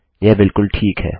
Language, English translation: Hindi, Its absolutely fine